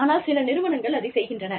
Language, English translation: Tamil, But, there are organizations, that do it